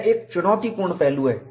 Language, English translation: Hindi, This is a challenging aspect